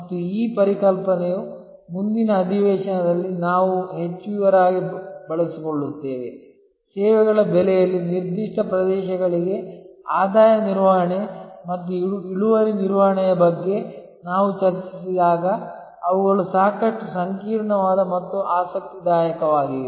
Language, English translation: Kannada, And this concept, we will utilize in more detail in the next session, when we discuss about revenue management and yield management to particular areas in services pricing, which are quite intricate and quite interesting